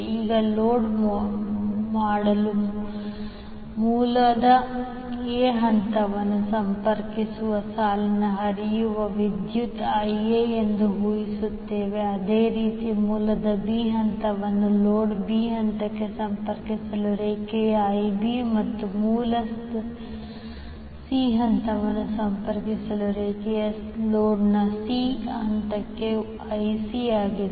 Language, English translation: Kannada, Now let us assume that the current which is flowing in the line connecting phase A of the source to load is IA, similarly the line connecting phase B of the source to phase B of the load is IB and a line connecting C phase of the source to C phase of the load is IC